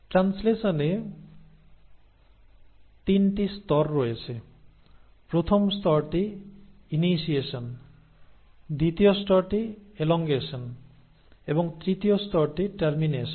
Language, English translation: Bengali, Now translation has 3 stages; the first stage is initiation, the second stage is elongation and the third stage is termination